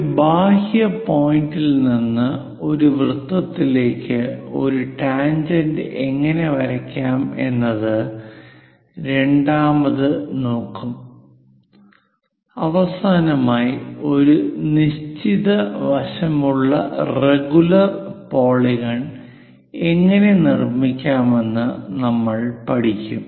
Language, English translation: Malayalam, The second part of the thing how to draw tangent to a circle from an exterior point; finally, we will cover how to construct a regular polygon of a given side